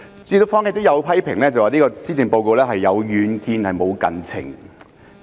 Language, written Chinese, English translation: Cantonese, 主席，坊間有批評指這份施政報告有遠見但無近情。, President there is criticism in the community that this Policy Address is visionary but fails to address pressing issues